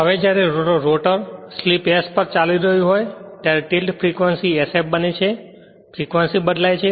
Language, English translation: Gujarati, Now, when the rotor running at slip s at that time its frequency being sf frequency is changing